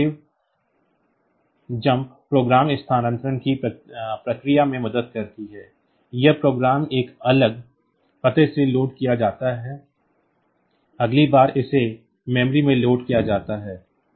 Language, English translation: Hindi, So, this helps in the process called program relocation; that is the program may be loaded from a different address; next time it is loaded into the memory